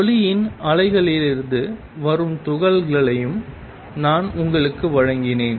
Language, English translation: Tamil, I also presented to you of particles from standing waves of light